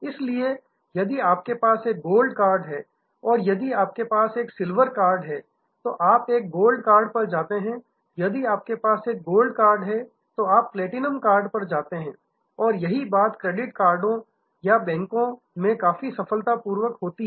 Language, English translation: Hindi, So, if you have a gold card and if you have a silver card, then you go to a gold card, if you have a gold card, then you go to a platinum card and the same thing has happened in credit card or banks quite successfully